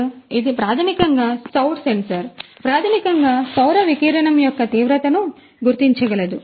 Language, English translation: Telugu, So, it is a basically a solar sensor, which can basically detect the intensity of the solar radiation